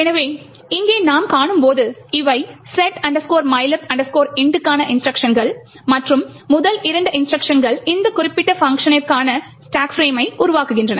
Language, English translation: Tamil, So, as we see over here these are the instructions for set mylib int and the first two instructions creates the stack frame for that particular function